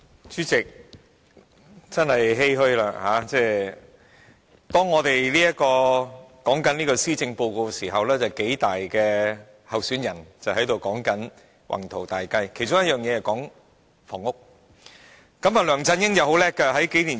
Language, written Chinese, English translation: Cantonese, 主席，我真的感到欷歔，當我們辯論施政報告時，特首選舉數大候選人正在說其宏圖大計，其中一項是有關房屋。, President I do feel heavy at heart . While we are debating the Policy Address some leading contestants for the Chief Executive election are talking about their respective grand blueprints under which housing is an item